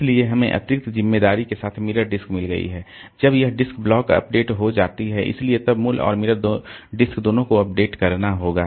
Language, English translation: Hindi, So, we have got the mirror disk of course with the additional responsibility that when this disk blocks are updated, so both the original disk and the mirror they have to be updated